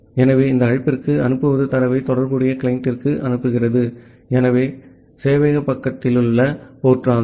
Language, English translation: Tamil, So, this send to call is sending the data to the corresponding client, so that is the port at the server side